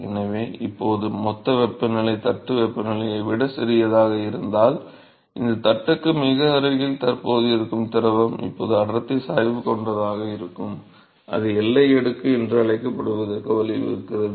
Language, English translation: Tamil, So now, if supposing the bulk temperature is smaller than that of the plate temperature, then very close to this plate, the fluid which is present is now going to have a density gradient, and that leads to what is called the boundary layer